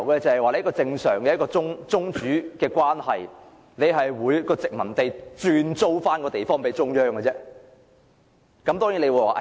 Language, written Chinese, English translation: Cantonese, 在一個正常的宗主關係下，殖民地怎會轉租一幅地方予中央？, Under a normal suzerainty how could a colony lease a plot of land to the suzerain state?